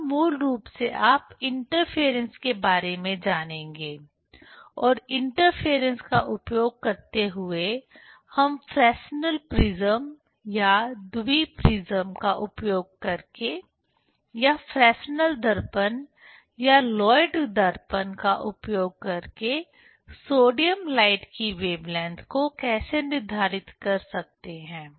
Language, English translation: Hindi, Here basically you will learn about the interference and using the interference, how we can determine the wavelength of, say sodium light, using the Fresnel s prism or Bi Prism or using the Fresnel s mirror or using the Lloyd s mirror